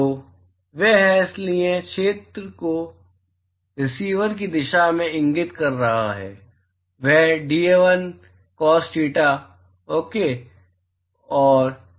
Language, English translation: Hindi, So, that is the, so the area vector which is pointing in the direction of the receiver is dA1 into cos theta ok